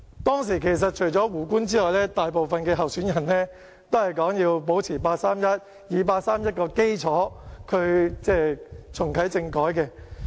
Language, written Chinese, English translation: Cantonese, 當時除了胡官之外，大部分候選人都說要維持八三一決定，要以八三一決定作基礎重啟政改。, Back then apart from Justice WOO most of the candidates said that the 31 August Decision had to be maintained and the 31 August Decision had to be the basis for reactivating constitutional reform